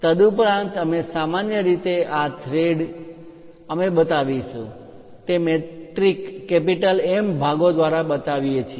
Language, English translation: Gujarati, And usually these threads by metric M portions we will show